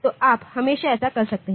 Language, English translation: Hindi, So, you can always do that